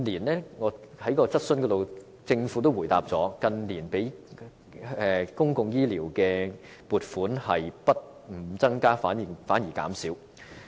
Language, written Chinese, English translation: Cantonese, 在回答質詢時，政府曾表示近年對公共醫療的撥款不但沒有增加，反而減少。, When replying to our questions the Government once said that rather than merely seeing no increase the funding for public health care in recent years has even decreased